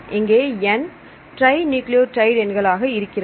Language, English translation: Tamil, So, n is the total number of nucleotides